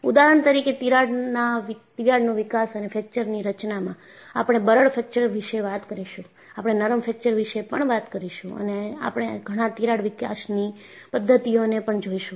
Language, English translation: Gujarati, For example, in Crack Growth and Fracture Mechanisms, we will talk about brittle fracture, we will also talk about ductile fracture and we will also look at several crack growth mechanisms